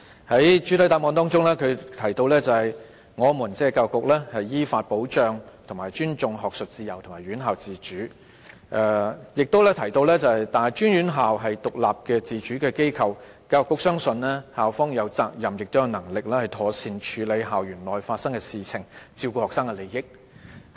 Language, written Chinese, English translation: Cantonese, 局長在主體答覆中提到，"我們依法保障和尊重學術自由和院校自主"，亦提到"大專院校是獨立自主的機構。教育局相信，校方有責任亦有能力妥善處理校園內發生的事情，照顧學生的利益"。, The Secretary also said We safeguard and respect academic freedom and institutional autonomy according to the law and also post - secondary institutions are autonomous bodies and the Education Bureau believes that they have the responsibility as well as the ability to deal with incidents on their campuses properly while looking after their students interests